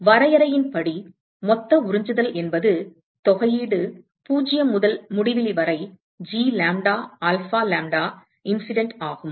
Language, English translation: Tamil, So, by definition, total absorptivity is integral 0 to infinity G lambda alpha lambda incident